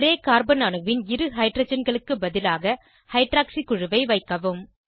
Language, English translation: Tamil, Substitute two hydrogens attached to the same carbon atom with hydroxy group